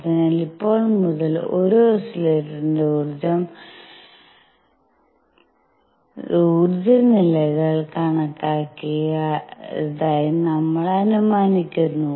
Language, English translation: Malayalam, So, from now on we assume that the energy levels of an oscillator are quantized